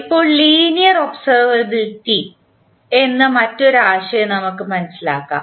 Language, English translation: Malayalam, Now, let us understand another concept called observability of the linear system